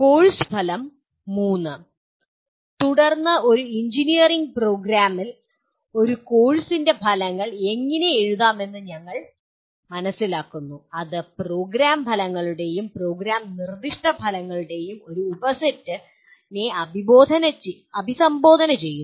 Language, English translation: Malayalam, The course outcome three then we learn how to write outcomes of a course in an engineering program that address a subset of program outcomes and program specific outcomes